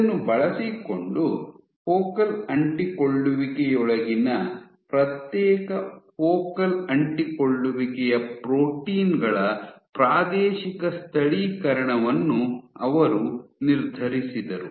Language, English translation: Kannada, So, using this she determined the spatial localization of individual focal adhesion proteins within focal adhesions